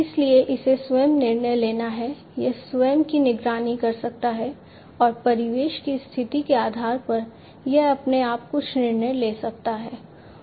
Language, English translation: Hindi, So, it has to self decide it can self monitor and based on the ambient conditions it can make certain decisions on it is on it is own